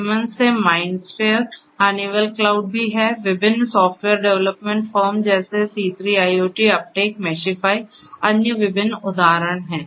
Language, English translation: Hindi, Mindsphere from Siemens, Honeywell cloud is also there; different software development firms such as C3IoT, Uptake, Meshify are different other examples